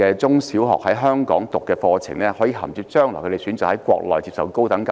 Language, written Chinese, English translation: Cantonese, 他們在香港就讀中小學課程，是否可銜接將來回國內接受高等教育？, After attending primary and secondary schools in Hong Kong they should be allowed to articulate to higher education in the Mainland shouldnt they?